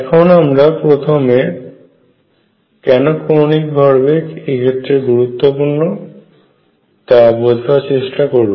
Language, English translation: Bengali, So, let us begin as to why angular momentum becomes important in this case